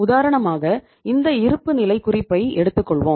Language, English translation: Tamil, Now for example this is the balance sheet